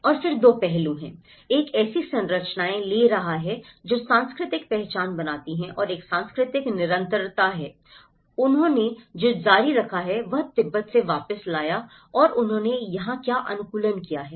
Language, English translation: Hindi, And then there are 2 aspects; one is taking the structures that create cultural identity and one is the cultural continuity, what they have continued, what they have brought back from Tibet and what they have adapted here